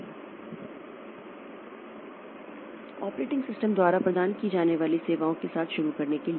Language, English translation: Hindi, So, to start with the services that are provided by the operating system